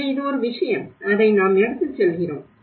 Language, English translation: Tamil, So this is one thing, which we have taking away